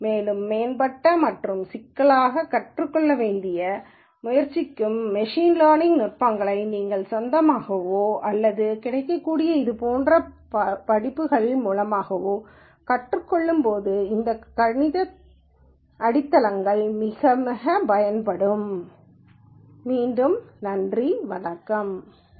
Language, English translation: Tamil, And also the mathematical foundations that are going to be quite important as you try to learn more advanced and complicated machine learning techniques either on your own or through courses such as this that are available